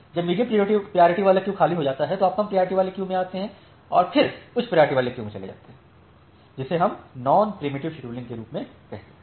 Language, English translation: Hindi, When the medium priority queue becomes empty you come to the low priority queue transfer all the packets from the low priority queue and then go to the high priority queue the, that we call as the non preemptive scheduling